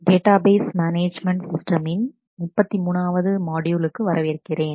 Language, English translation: Tamil, Welcome to module 33 of Database Management Systems